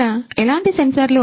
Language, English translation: Telugu, What kind of sensors are there